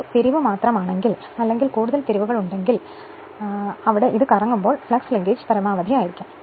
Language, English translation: Malayalam, If you have only one turn if you have more number of turns, so this position the flux linkage will be maximum when it is revolving